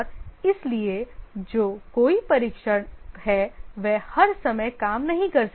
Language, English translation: Hindi, And therefore, somebody who is a tester, he may not have work all the time